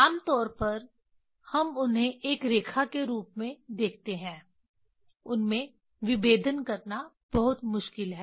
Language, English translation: Hindi, In generally we see them as a one line; it is very difficult to resolve them